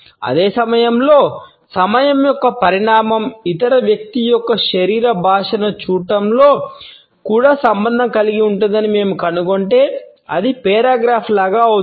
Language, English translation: Telugu, At the same time, if we find that the dimension of time is also associated with our looking at the other person’s body language it becomes like a paragraph